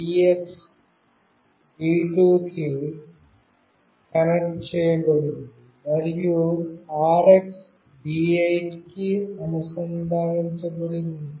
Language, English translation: Telugu, The TX is connected to D2, and RX is connected to D8